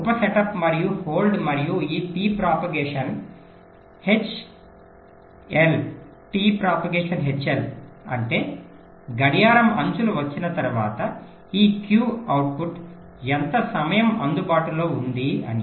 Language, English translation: Telugu, ok, the sub setup and hold and this t propagation h l means after the clock edges comes, after how much time this q output is available